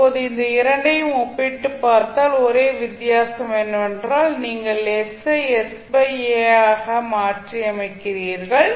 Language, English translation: Tamil, So now if you compare these two, the only difference is that you are simply replacing s by s by a